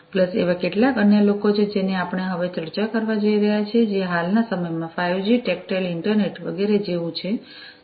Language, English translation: Gujarati, Plus there are few others that we are going to discuss now, which are like 5G tactile internet etcetera which have become very popular, in the recent times